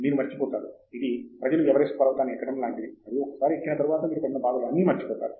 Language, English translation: Telugu, You will forget, it is like climbing Mount Everest and people have forgotten all the pain that have gone by